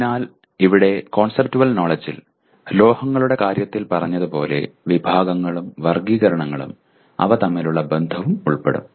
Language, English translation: Malayalam, So here conceptual knowledge will include categories and classifications like we said metals and the relationship between and among them